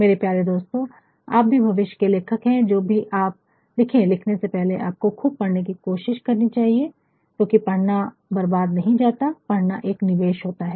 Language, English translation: Hindi, My dear friends, you too as a prospective writer as a creative writer, whatever you are writing please see that before writing one should try to read a lot, because reading is not a wastage, reading is an investment